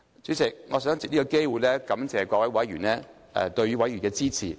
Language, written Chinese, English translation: Cantonese, 主席，我想藉此機會感謝各位議員對委員會的支持。, I would like to take this opportunity to thank Members for their support for the Committee